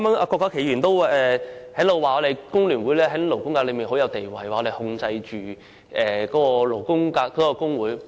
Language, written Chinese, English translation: Cantonese, 郭家麒議員剛才也說工聯會在勞工界的地位甚高，指我們控制勞工界的工會。, Dr KWOK Ka - ki just now also said that FTU enjoyed a pretty high status in the labour sector and controlled the trade unions of the labour sector